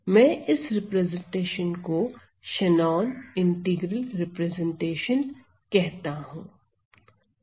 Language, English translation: Hindi, So, I call this result, I call this representation as my Shannon integral representation